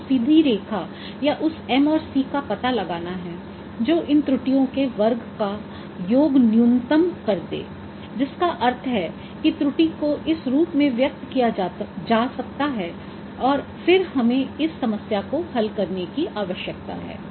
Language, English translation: Hindi, So we have to find out that straight line that M and C which will minimize the sum of square of these errors, which means the error can be expressed in this form and then we need to solve it for this problem